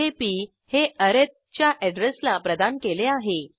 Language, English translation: Marathi, Now here, p is set to the address of arith